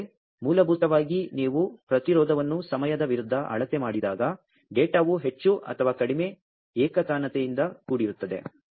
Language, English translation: Kannada, Because basically when you measure the resistance versus time the data is more or less very monotonous